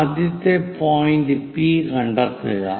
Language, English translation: Malayalam, So, the first point is here P again